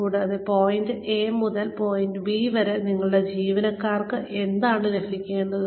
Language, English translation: Malayalam, And, what do our employees need to get from point A to point B